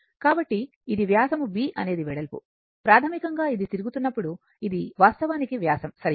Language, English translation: Telugu, So, this is your this is the diameter, b is the breadth basically when it is revolving, it is actually diameter right